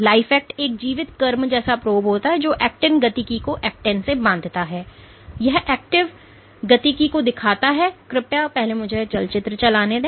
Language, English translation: Hindi, Life act is life act is a probe which probes actin dynamics it binds to actin and they are put traps actin dynamics let me replay this movie ok